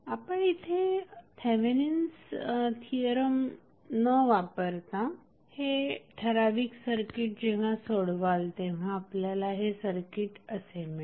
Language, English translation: Marathi, Now, this is what you got when you did not apply Thevenin theorem to solve this particular circuit